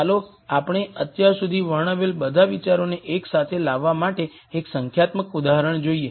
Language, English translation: Gujarati, Let us take a look at a numerical example to bring together all the ideas that we have described till now